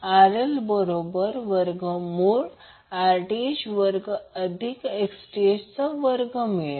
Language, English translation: Marathi, RL would be equal to under root of Rth square plus Xth square